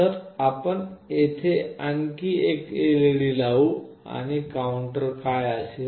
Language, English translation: Marathi, So, you can put another LED here and what will be the counter